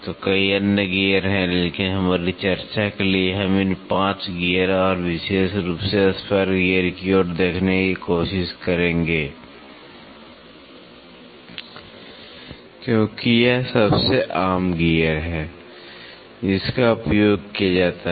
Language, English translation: Hindi, So, many other gears are there, but for our discussion we will try to look into these 5 gears and more in particular towards spur gear, because this is the most common gear which is used